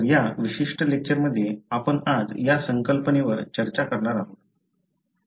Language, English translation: Marathi, So, this is the concept that we are going to discuss today, in this particular lecture